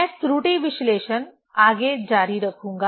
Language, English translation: Hindi, I will continue the error analysis more